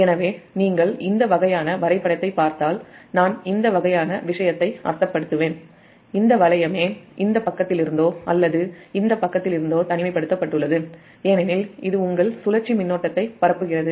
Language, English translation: Tamil, so if you look this kind of diagram, when you will, i mean this kind of thing this loop itself is isolated from this side or this side because it is a circulated, your circulating current